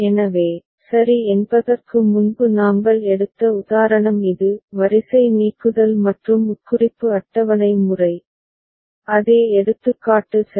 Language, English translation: Tamil, So, this is the example that we had taken before ok; row elimination and implication table method, same example alright